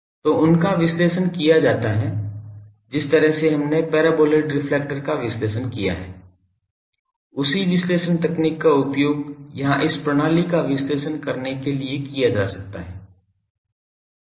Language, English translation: Hindi, So, they are analysed the way we have analysed the paraboloid reflector same analysis technique can be used here to analyse this systems